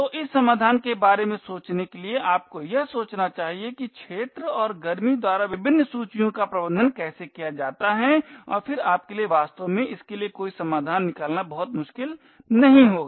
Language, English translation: Hindi, So, in order to think of this solution you must think about how the various lists are managed by the arena and by the heat and then it would not be very difficult for you to actually find a solution for this